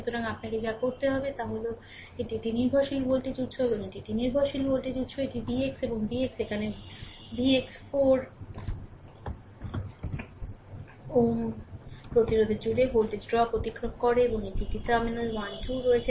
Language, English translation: Bengali, So, what you have to do is, this this is a dependent voltage source and this is a dependent voltage source this is V x and V x is here V x is here across voltage drop across 4 ohm resistance right and this is a terminal 1 2